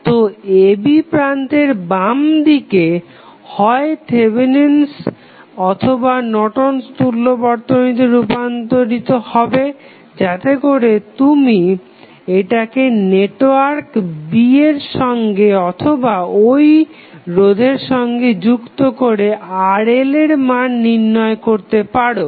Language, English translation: Bengali, So, you will see terminal AB here the left of this would be having either Thevenin's and Norton's equivalent so, that you can solve it by adding that equivalent to the resistance or that is the network B and find out the circuit variables across RL